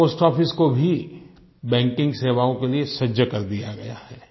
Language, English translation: Hindi, Post offices have also been geared up for banking services